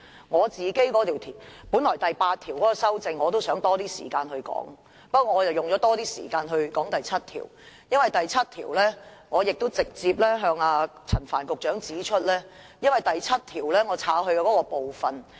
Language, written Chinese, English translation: Cantonese, 我本來想花多些時間說說第8條，不過，我花了較多時間談論第7條，因為我直接向陳帆局長指出我刪去第7條那部分的內容。, I originally wanted to spend more time on clause 8 but I talked more on clause 7 in the end because I directly pointed out to Secretary Frank CHAN the part of clause 7 to be deleted and what it was about